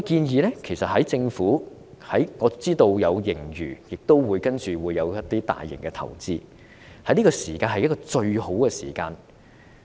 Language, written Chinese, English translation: Cantonese, 我知道政府有盈餘，接下來會有一些大型投資，這是最好的時機。, I know that with its surplus the Government will make some large - scale investments down the line . This is the best opportunity